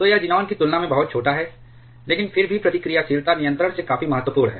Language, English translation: Hindi, So, it is much smaller compared to the xenon, but still quite significant from reactivity control